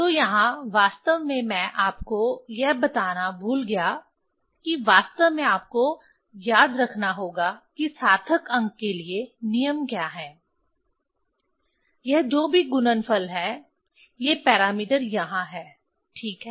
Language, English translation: Hindi, So, here actually I forgot to tell you actually in you remember for significant figure, what is the rule; this whatever the multiplication these parameters are there ok